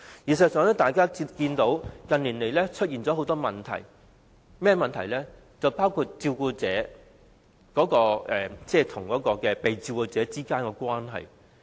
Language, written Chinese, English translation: Cantonese, 事實上，關於這個議題，近年出現了很多問題，包括照顧者與被照顧者之間的關係。, In fact on this subject in recent years there have been a lot of problems including the relationship between carers and the care recipients